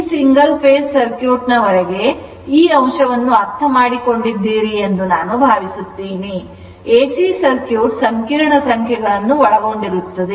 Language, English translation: Kannada, I hope up to this single phase circuit I hope you have understood this look ah that actually ac circuit it it your what you call your it involves complex number